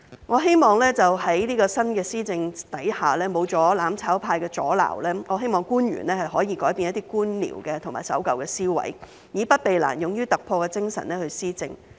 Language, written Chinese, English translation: Cantonese, 我希望在新的施政下，沒有了"攬炒派"的阻撓，官員可以改變一些官僚及守舊的思維，以不避難、勇於突破的精神去施政。, I hope that under the new administration without the hindrance of the mutual destruction camp officials can change their bureaucratic and old - fashioned mindset and adopt a spirit of not avoiding difficulties and daring to make breakthroughs in policy implementation